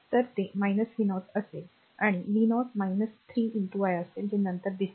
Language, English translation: Marathi, So, it will be minus v 0 and v 0 will be minus 3 into i that will see later, right